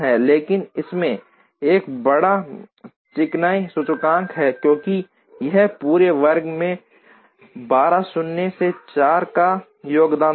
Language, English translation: Hindi, But, this will have a larger smoothness index, because this would contribute 12 minus 4 the whole square